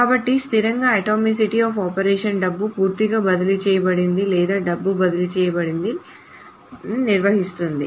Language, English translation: Telugu, The atomicity of operations or the atomicity of transactions defines that either the money is transferred completely or no money is transferred at all